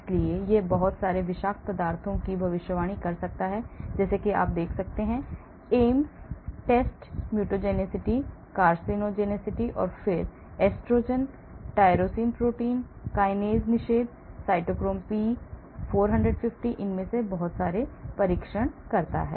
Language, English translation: Hindi, so it can predict lot of toxicities, as you can see, Ames test mutagenicity, carcinogenicity, then estrogen, tyrosine protein kinase inhibition, cytochrome P 450, so lot of these